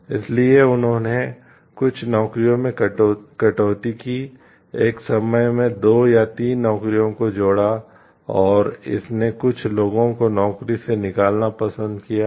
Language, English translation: Hindi, So, it has led to elimination of some jobs, clubbing of two three jobs together and it has led to like removal of some people from the job